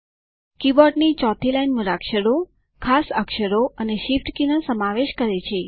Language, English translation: Gujarati, The fourth line of the keyboard comprises alphabets, special characters, and shift keys